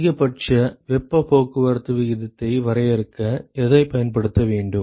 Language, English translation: Tamil, Which one should be used to define the maximum heat transport rate